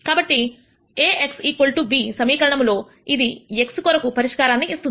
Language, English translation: Telugu, So, this solves for x in the equation A x equal to b